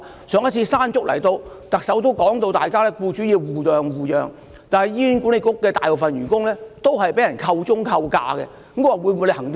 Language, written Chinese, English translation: Cantonese, 上次颱風"山竹"來襲，特首已說到僱主應互諒互讓，但醫管局大部分員工均被扣鐘、扣假。, Last time following the onslaught of Typhoon MANGKHUT the Chief Executive appealed to employers to show understanding and make accommodation . But most HA staff have got their leave or time - off deducted